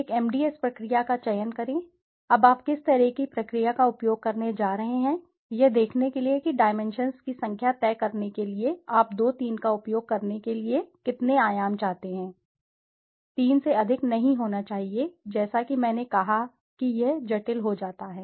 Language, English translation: Hindi, Select an MDS procedure, now what kind a process you are going to use you will to see that decide the number of dimensions, how many dimensions you want to use 2, 3 should not be more than 3, as I said it becomes complicated